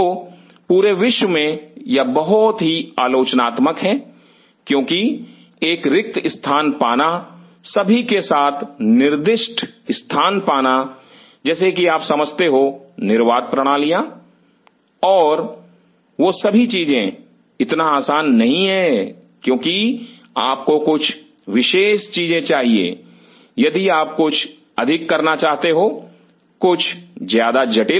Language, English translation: Hindi, So, all over the world this is very critical because getting a space getting designated space with all the, like you know the vacuum systems and all those things it is not easy because you need certain special things if you want to make in more and more sophisticated